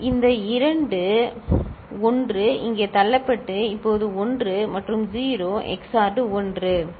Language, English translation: Tamil, This two 1 are getting pushed over here and now 1 and 0 XORed is 1, ok